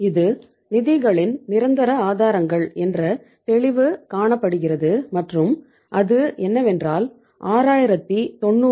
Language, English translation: Tamil, It is clear that is the permanent sources of the funds and that is 6900 multiplied by 0